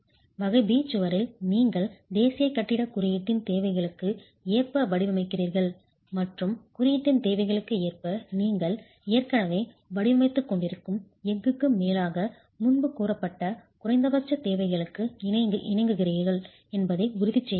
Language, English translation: Tamil, The other two categories, type B wall and type C wall, in type B wall you are designing as per the requirements of the national building code and ensuring that over and above the steel that you are already designing as per the requirements of the code, you have complied with the minimum requirements that are stated earlier